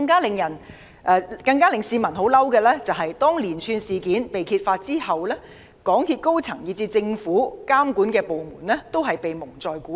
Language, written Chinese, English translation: Cantonese, 令市民更憤怒的是，連串事件被揭發前，港鐵公司高層以至政府監管部門均被蒙在鼓裏。, What has enraged the people more is that before the series of incidents were exposed the senior management of MTRCL and even the regulating government departments had all been kept in the dark